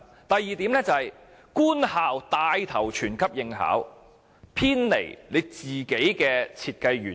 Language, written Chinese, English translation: Cantonese, 第二點，是官校牽頭全級應考，偏離了 BCA 本身的設計原意。, Second government schools have taken the lead to opt compulsory BCA assessment for the whole grade of students . Their decision departs from the original intent of BCA